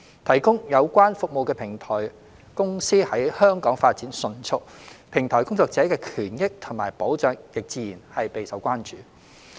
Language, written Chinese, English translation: Cantonese, 提供有關服務的平台公司在香港發展迅速，平台工作者的權益及保障亦自然備受關注。, Platform companies providing related services in Hong Kong have developed rapidly and naturally the rights and interests of platform workers and their protection have become a matter of concern